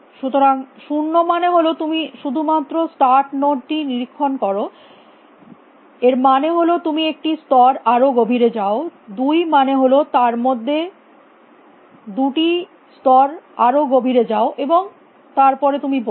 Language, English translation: Bengali, means you just inspect the start node one means you go one level deeper two means go two steps deeper in that, and then you say